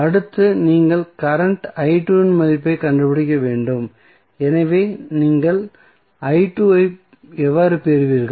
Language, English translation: Tamil, Next is you need to find out the value of current i 2, so how you will get i 2